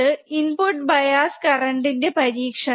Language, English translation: Malayalam, So, this is experiment for input bias current